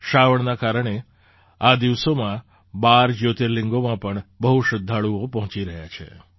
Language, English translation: Gujarati, These days numerous devotees are reaching the 12 Jyotirlingas on account of 'Sawan'